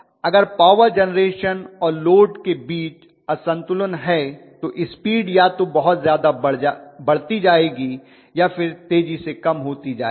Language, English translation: Hindi, If there is a power imbalance between generation and load, I am going to have either the speed increasing enormously or speed decreasing enormously